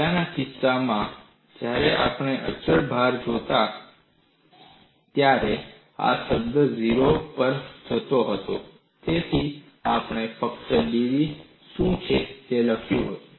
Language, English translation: Gujarati, In the earlier case, when we looked at constant load, this term was going to 0; so, we simply wrote what is d v; now, dv is 0